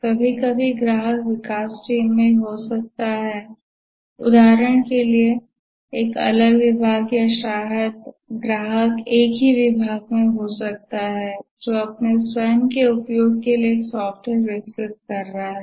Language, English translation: Hindi, Or maybe the customer may be in the development team for example a different department or maybe the customer may be the same department which is developing a software for its own use but typically the customers are external and the vendors, etc